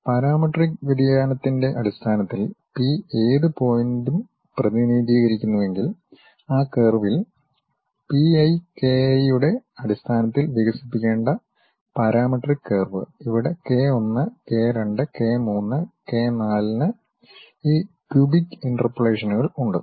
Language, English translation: Malayalam, If I am representing it in terms of parametric variation the P any point P, on that curve the parametric curve supposed to be expanded in terms of P i k i where k 1 k 2 k 3 k 4s have this cubic interpolations